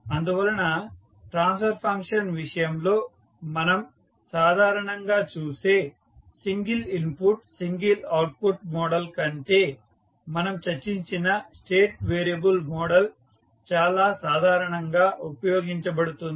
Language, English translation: Telugu, So therefore, the state variable model which we have just discussed is more general than the single input, single output model which we generally see in case of the transfer function